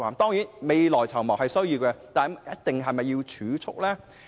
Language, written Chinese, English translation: Cantonese, 當然，未雨綢繆是需要的，但是否一定要透過儲蓄呢？, Certainly it is necessary to save for a rainy day but is saving the only option?